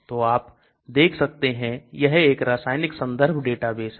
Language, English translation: Hindi, So you can see this is chemistry databases reference